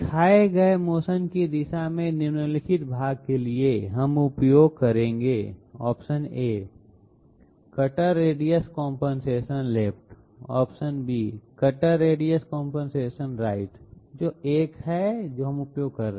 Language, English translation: Hindi, For the following part with the direction of motion shown, we would use Cutter radius compensation left and cutter compensation cutter radius compensation right, which one would be the one that we are using